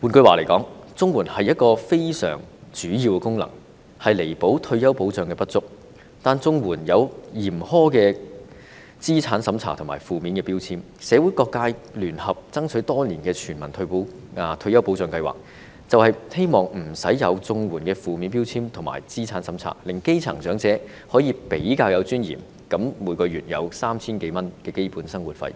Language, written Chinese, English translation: Cantonese, 換言之，綜援一個非常主要的功能，是彌補退休保障的不足，但綜援設有嚴苛的資產審查和有負面標籤，社會各界聯合爭取多年的全民退休保障計劃，便是希望免除綜援的負面標籤和資產審查，令基層長者可以比較有尊嚴地每月領取 3,000 多元的基本生活費。, In other words a most important function of CSSA is to make up for the inadequacy of retirement protection but CSSA imposes a harsh means test and its recipients are labelled negatively . The universal retirement protection scheme jointly championed by various sectors of the community over the years precisely seeks to remove the negative label on CSSA and the means test required so as to enable the grass - roots elderly to receive some 3,000 monthly in a more dignified manner